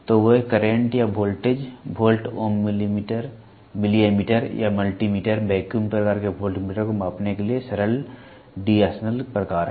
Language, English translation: Hindi, So, they are simple D’Arsonval type to measure current or voltage volt ohm milli ammeter or multi meter vacuum type voltmeter